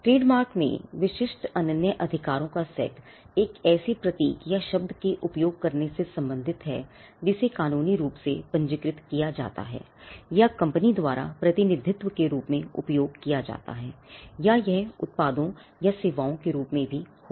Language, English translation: Hindi, The set of rights exclusive rights in trademark pertain to using a symbol or a word that is legally registered or established by used as representing a company or it is products; could be products or even services